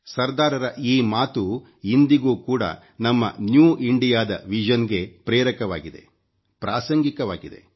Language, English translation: Kannada, These lofty ideals of Sardar Sahab are relevant to and inspiring for our vision for a New India, even today